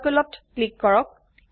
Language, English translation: Assamese, Click on Circle